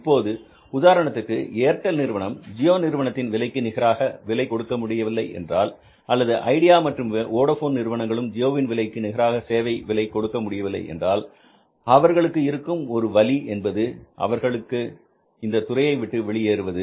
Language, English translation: Tamil, Now at that time, for example, if the Airtel was not able to match the pricing of the geo or the idea and Boudafone were not able to match the pricing of geo, so there is the one option in their mind was to go out of that sector